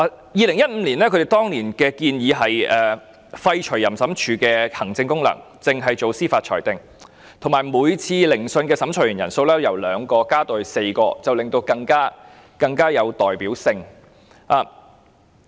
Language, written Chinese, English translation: Cantonese, 在2015年，政府建議廢除淫審處的行政功能，只負責司法裁定，而每次聆訊的審裁員由2名增至4名，令裁決更有代表性。, In 2015 the Government proposed abolishing the administrative function of OAT whilst leaving it to be responsible for judicial determination only and also increasing the number of adjudicators at each hearing from two to four to enhance the representativeness of the determination